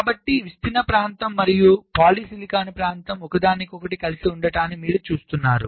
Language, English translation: Telugu, so ah, diffusion region and a polysilicon region is intersecting, now you see